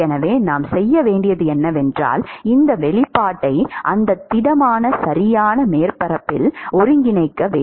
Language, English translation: Tamil, So, what we have to do is we have to integrate this expression over the surface area of that solid, right